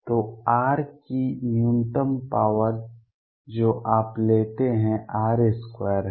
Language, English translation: Hindi, So, the minimum power of r that you take is r square